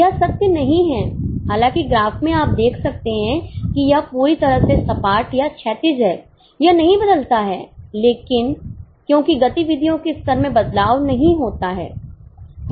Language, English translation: Hindi, Although in the graph you can see that it is totally flat or horizontal, theoretically it doesn't change here because with level of activities doesn't change